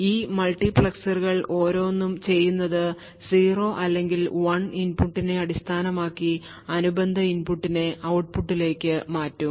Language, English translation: Malayalam, And what each of these multiplexers does is that based on the input either 0 or 1, it will switch that corresponding input to the output